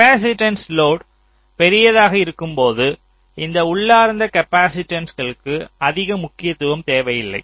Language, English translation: Tamil, so when the load capacitance is large, so this intrinsic capacitance will not matter much